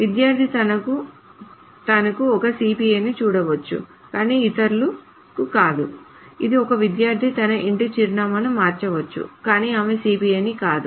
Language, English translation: Telugu, It may also happen that a student may see the CPI of herself but not of others but a student may change her address, home address but not her CPI